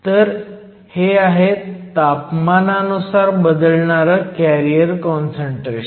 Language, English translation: Marathi, So, this is the carrier concentration as a function of temperature